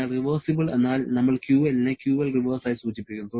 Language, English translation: Malayalam, So, reversible means we are indicating QL as QL reversible